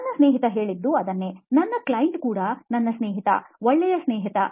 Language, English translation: Kannada, That’s what my friend told me, my client who is also my friend, good friend